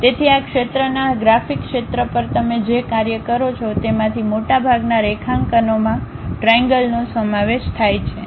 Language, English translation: Gujarati, So, most of the drawings what you work on this area graphics area what we call will consist of triad